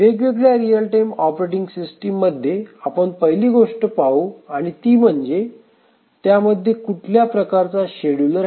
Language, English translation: Marathi, As we will look at different real time operating system, the first thing we will mention is that what is the type of the scheduler